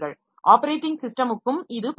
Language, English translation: Tamil, The same is true for the operating system also